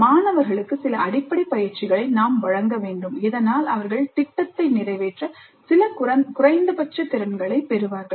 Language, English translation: Tamil, So we need to provide some basic training to the students so that they get some minimal competencies to carry out the project